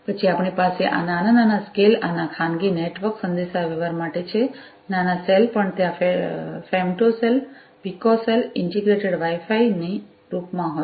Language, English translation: Gujarati, Then we have this you know for small scale private network communication, small cell deployments are also there in the form of you know femtocells, picocells, integrated Wi Fi and so on